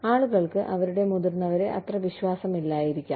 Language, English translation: Malayalam, People may not trust their seniors, so much